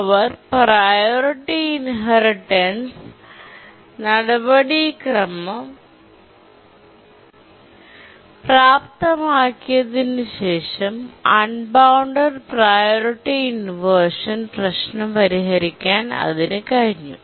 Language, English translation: Malayalam, So, the enabled the priority inheritance procedure and then it could solve the unbounded priority inversion problem